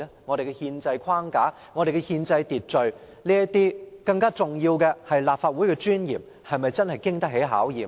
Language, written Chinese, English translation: Cantonese, 我們的憲制框架、憲制秩序，以及更重要的是立法會的尊嚴，又是否經得起考驗呢？, Can our constitutional framework our constitutional order and more importantly the dignity of this Council withstand challenges?